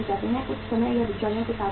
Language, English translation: Hindi, Sometime it remains with the middlemen also